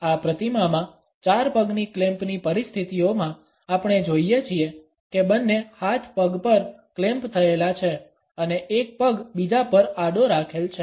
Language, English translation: Gujarati, In this figure four leg clamp situations, we find that both hands are clamped on the leg and one leg is resting horizontally over the other